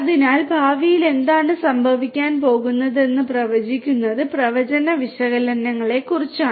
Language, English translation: Malayalam, So, predicting the predicting what is going to happen in the future is what predictive analytics talks about